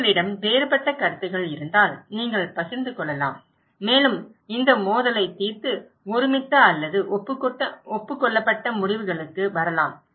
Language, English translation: Tamil, If you have different opinions, you can share and you can resolve this conflict and come into consensus or agreed decisions